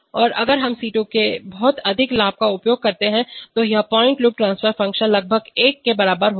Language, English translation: Hindi, And if we use very high gains of C2 then this closed loop transfer function will be almost equal to 1